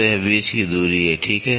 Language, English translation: Hindi, So, it is a distance between, ok